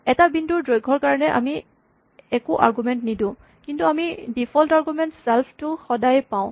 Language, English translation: Assamese, If you want the distance of a point, we do not give it any arguments, but we always have this default argument self